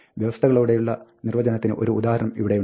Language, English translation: Malayalam, Here is an example of a conditional definition